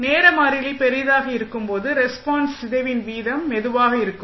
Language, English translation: Tamil, Larger the time constant slower would be the rate of decay of response